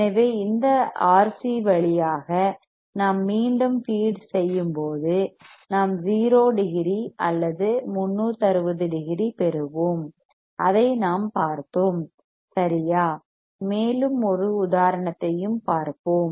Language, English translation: Tamil, So, when we feed back through this R c; we will get 0 degree or 360 degrees we have seen that right and we have also seen an example